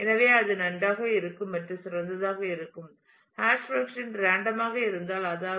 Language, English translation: Tamil, So, that would be that will be nice to have and ideal would be that if the hash function is random which means that